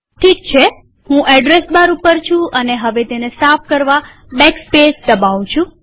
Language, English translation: Gujarati, i am in address bar and now i press backspace to clear the address bar